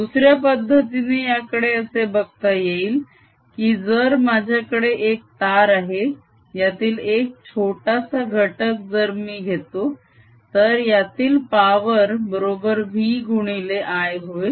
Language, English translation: Marathi, another way to look at it is: if i have a wire and if i take a very small element in this, then the power in this is going to be v times i